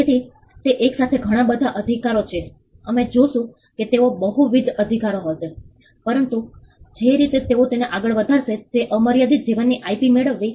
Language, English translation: Gujarati, So, it is a combination there are multiple rights we will see that they will be multiple rights, but the way in which they take it forward is to get an unlimited life IP